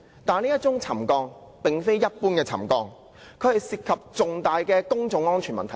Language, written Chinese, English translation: Cantonese, 但是，這宗沉降事件並非一般的沉降，主席，它涉及重大的公眾安全問題。, But this subsidence is not any ordinary subsidence . President it is a grave public safety issue